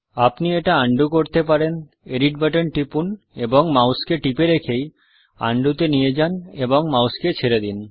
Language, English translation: Bengali, You can undo it: Click the edit button, hold, go to Undo and release the mouse